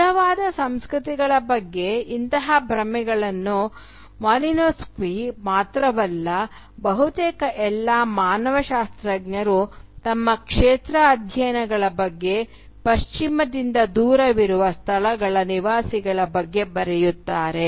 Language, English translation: Kannada, And such illusions about pure uncontaminated cultures are carefully constructed not only by Malinowski but almost by all anthropologists writing about their field studies on dwellers of spaces far removed from the West